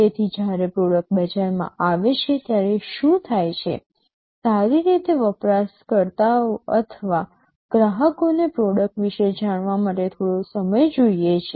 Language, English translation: Gujarati, So, what happens when a product comes to the market, well the users or the customers need some time to learn about the product